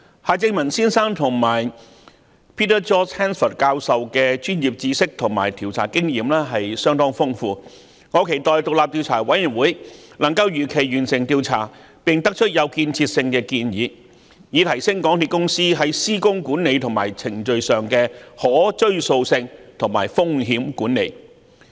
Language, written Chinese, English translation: Cantonese, 夏正民先生及 Peter George HANSFORD 教授的專業知識和調查經驗相當豐富，我期待獨立調查委員會能夠如期完成調查，並得出有建設性的建議，提升港鐵公司在施工管理和程序上的可追溯性和風險管理。, With their sound professional knowledge and rich experience in inquiry work I hope Mr HARTMANN and Prof Peter George HANSFORD will complete the work of the Commission of Inquiry on schedule and put forth constructive recommendations thereby enhancing MTRCLs systems on traceability and risk management in works supervision and processes